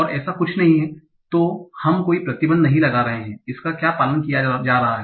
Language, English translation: Hindi, So we are not putting any restriction on what is being followed